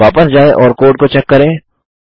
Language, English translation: Hindi, Lets go back and check the code